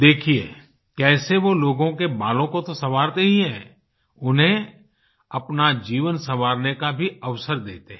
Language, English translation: Hindi, See how he dresses people's hair, he gives them an opportunity to dress up their lives too